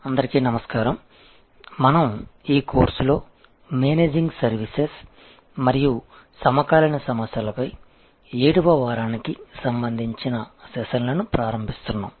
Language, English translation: Telugu, Hello, so we are starting the sessions for the 7th week on this course on Managing Services and contemporary issues